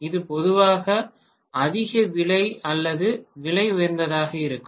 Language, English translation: Tamil, This will be generally more costly or costlier